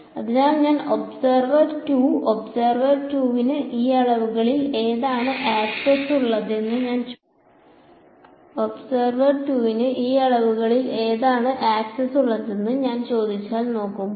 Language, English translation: Malayalam, So, when I look at if I ask observer 2 observer 2 has access to which of these quantities